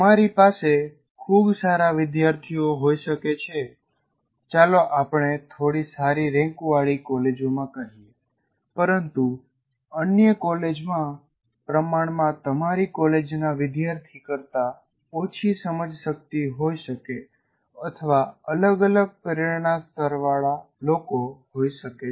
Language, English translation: Gujarati, So you may have a very large number of very good students, let us say in slightly better ranked colleges, but in other colleges you may have people with relatively lower cognitive abilities and maybe different motivation levels and so on